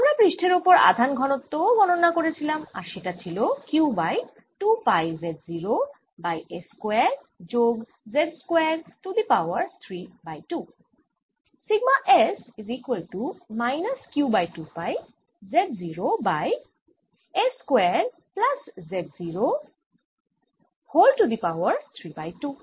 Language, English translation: Bengali, we also calculated the surface charge sigma, which came out to be q over two, pi, z naught over s square plus z naught square raise to three by two